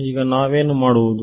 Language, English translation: Kannada, what will we do now